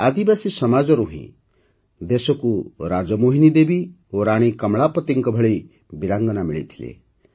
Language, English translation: Odia, It is from the tribal community that the country got women brave hearts like RajMohini Devi and Rani Kamlapati